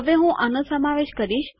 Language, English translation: Gujarati, Now I will substitute these